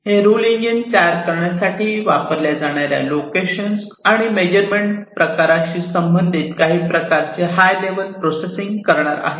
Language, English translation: Marathi, So, these rule engines are going to do some kind of high level processing, with respect to the location and the measurement type, that is used for rule formation